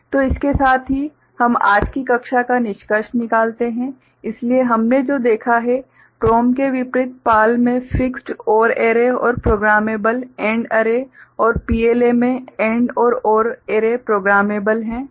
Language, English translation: Hindi, So, with this we conclude today’s class, so what we have seen that in contrast to PROM PAL has fixed OR array and programmable AND array right and in PLA both and AND, OR array are programmable